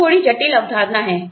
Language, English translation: Hindi, This is slightly complicated concept